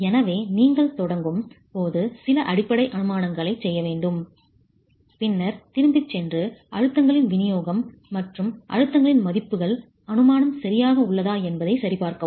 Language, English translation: Tamil, So, you need to make some basic assumptions when you start and then go back and check if for the distribution of stresses and the values of stresses is that assumption right